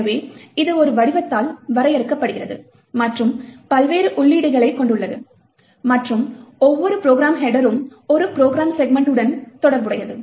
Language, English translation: Tamil, So, it is also defined by a structure and has various entries and each program header is associated with one program segment